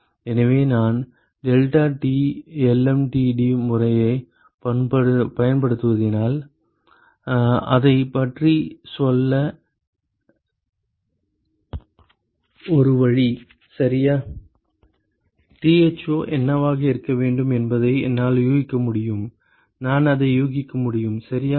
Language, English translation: Tamil, So, if I use the deltaT lmtd method, a way to go about it ok I can guess what should be this Tho I can guess that ok